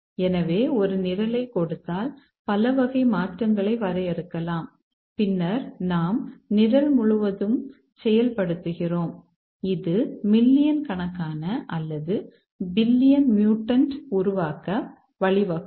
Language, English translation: Tamil, So, given a program we can have several primitives defined, primitive types of changes and then we carry out, throw out the program and this may lead to millions or billions of mutants getting created